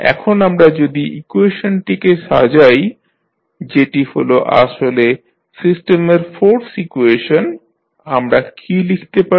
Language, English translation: Bengali, Now, if we compile the equation which is force equation of the system, what we can write